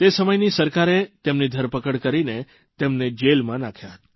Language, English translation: Gujarati, The government of that time arrested and incarcerated him